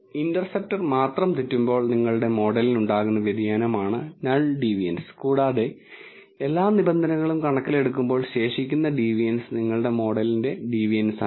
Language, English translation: Malayalam, So, null deviance is the deviance of your model when only the interceptor mistaken and residual deviance is a deviance of your model when all the terms are taken into account